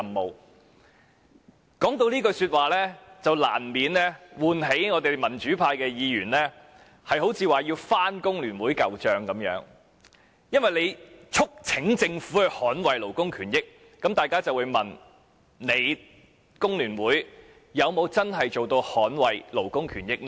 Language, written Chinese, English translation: Cantonese, 每次提到這句話，難免便會喚起民主派議員要翻工聯會的舊帳，因為他說"促請政府捍衞勞工權益"，那麼大家便不禁會問：工聯會又有否真正做到捍衞勞工權益呢？, Every time such a comment is made the pro - democracy camp is inevitably prompted to rake up the past deeds of FTU . Since he talked about urging the Government to safeguard labour rights and interests we cannot help but ask Did FTU do a proper job of safeguarding labour rights and interests?